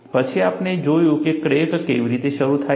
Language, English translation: Gujarati, Then, we looked at, how does crack initiate